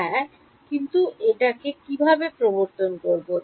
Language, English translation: Bengali, Yeah how do I introduce it